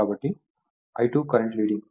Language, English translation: Telugu, So, I 2 current is leading